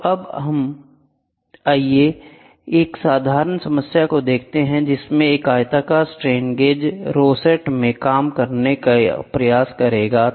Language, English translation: Hindi, So now, let us try to work a simple problem a rectangular strain gauge rosette